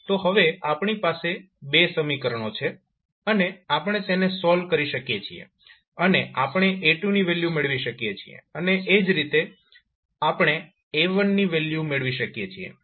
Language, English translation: Gujarati, So now we got 2 equations and we can solved it and we can get the value of A2 and similarly we can get the value of A1